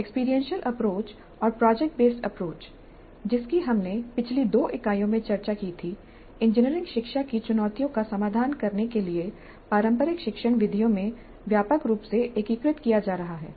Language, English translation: Hindi, Now, experiential approach along with project based approach and problem based approach which we discussed in the previous two units are being integrated extensively into the traditional teaching methods to address the challenges of modern engineering education